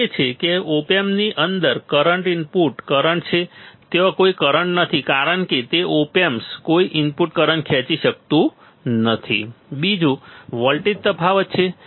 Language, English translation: Gujarati, First is the current input current inside the op amp is there is no current, because it cannot draw any current input to the op amp draws no current